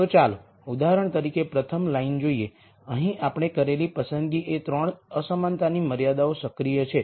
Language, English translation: Gujarati, So, let us look at the rst row for example, here the choice we have made is all the 3 inequality constraints are active